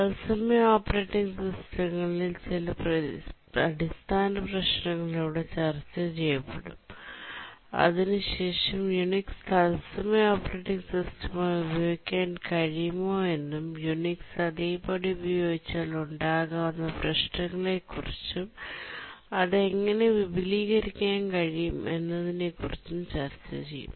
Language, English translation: Malayalam, This lecture will continue with some basic issues that arise in real time operating systems and after that we'll look at whether Unix can be used as a real time operating system, what problems may arise if we use Unix as it is, and how it can be extended